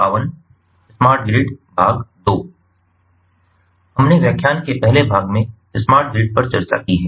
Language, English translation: Hindi, we have discussed in the first part of lecture on smart grid